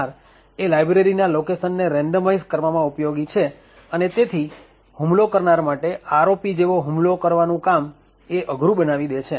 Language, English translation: Gujarati, Now ASLR was useful to actually randomise the location of libraries, therefore making attack such as the ROP attack more difficult to actually mount